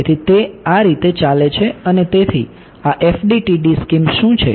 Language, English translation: Gujarati, So, what is the FDTD scheme all about